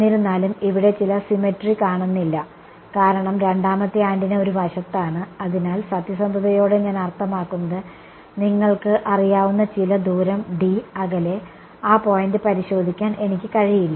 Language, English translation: Malayalam, Here, however, there is a certain symmetry is missing over here, because I mean the second antenna is on one side, so I cannot in good I mean being honest, I cannot take some you know distance a apart and do testing on that point